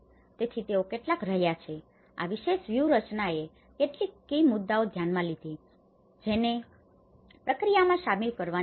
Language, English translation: Gujarati, So, they have been some, this particular strategy have addressed some key issues, that has to be included in the process